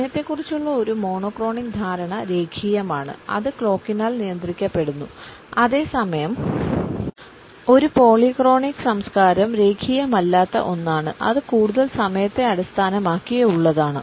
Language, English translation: Malayalam, A monochronic understanding of time is linear and it is governed by our clock in comparison to it, a polychronic culture is a non linear one and it is more oriented towards time